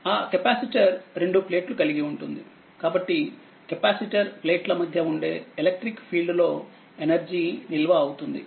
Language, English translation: Telugu, That you have capacitor you have two plates, so energy stored in the, what you call in the electric field that exist between the plates of the capacitor